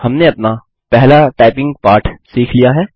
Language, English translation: Hindi, We have learnt our first typing lesson